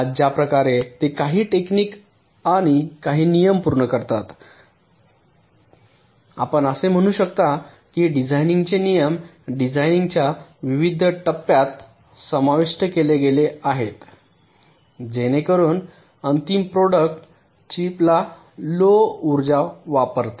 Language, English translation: Marathi, some techniques and some rules you can say design rules are incorporated at various stages of the design so that out final product, the chip, consumes less power